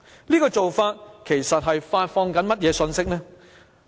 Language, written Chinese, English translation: Cantonese, 這種做法其實是在發放甚麼信息？, What kind of message will thus be conveyed?